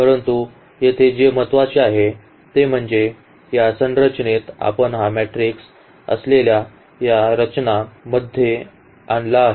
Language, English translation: Marathi, But, what is important here to put into this echelon form we have bring into this structure which this matrix has